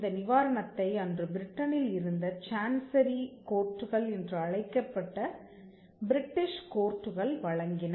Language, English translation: Tamil, This remedy was given by the British courts by the Chancery courts in United Kingdom